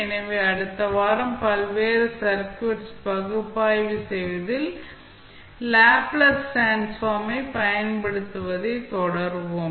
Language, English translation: Tamil, So, next week we will continue our utilization of Laplace transform in analyzing the various circuits